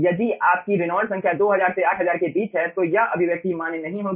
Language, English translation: Hindi, okay, if your reynolds number is in between 2000 to 8000, this expression will not be valid